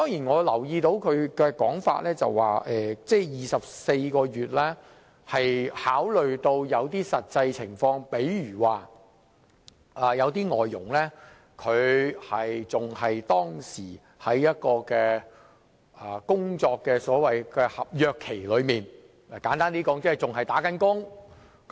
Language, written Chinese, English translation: Cantonese, 我留意到他的說法指24個月的檢控時限是考慮到實際情況，例如有些外傭仍在合約期內，簡單而言即是仍在為其僱主工作。, I note his remark that the proposal of a 24 - month time limit for prosecution has taken into account the actual situation . For example some foreign domestic helpers are still under contract which in simple terms means that they are still working for their employers